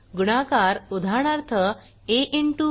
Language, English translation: Marathi, * Multiplication: eg